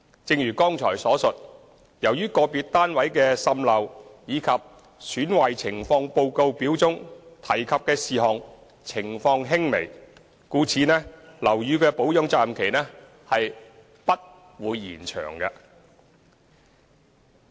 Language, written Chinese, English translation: Cantonese, 正如剛才所述，由於個別單位的滲漏及"損壞情況報告表"中提及的其他事項情況輕微，故樓宇的保養責任期不會延長。, As mentioned above since the seepage of individual flats and the items stated in the Defects Report Forms were minor the warranty period will not be extended